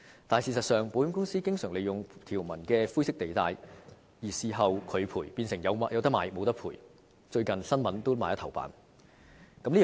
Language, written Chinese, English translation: Cantonese, 但事實上，保險公司經常利用條文的灰色地帶在事後拒絕賠償，變成"有得買，無得賠"，最近報章也在頭版刊登有關事件。, But in fact insurance companies have often exploited the grey areas in the provisions to reject claims for compensation and it turns out that people taking out health insurance policies are not getting any compensation . Such cases have also hit the press headlines recently